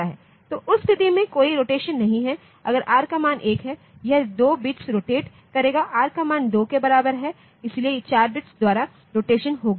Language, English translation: Hindi, So, in that case no rotation r equal to 1, it is rotation by 2 bits r equal to 2, so rotation by 4 bits